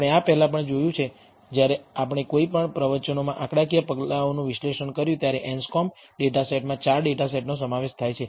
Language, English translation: Gujarati, We have seen this before in the when we analyzed statistical measures in one of the lectures, the Anscombe data set is consists of 4 data sets